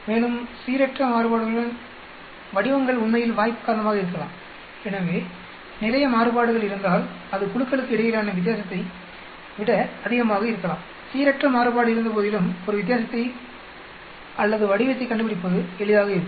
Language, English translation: Tamil, With more random variation the patterns could actually be due to chance, so if there is lot of variation it could be just greater the difference between the groups, then the easier it will be to find a difference or pattern despite random variation